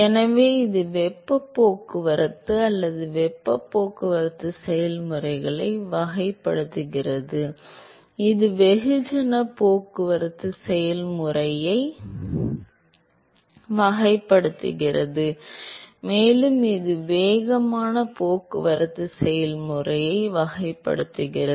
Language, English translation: Tamil, So, this characterizes the thermal transport or the heat transport processes, this characterizes the mass transport process, and this characterizes the momentum transport process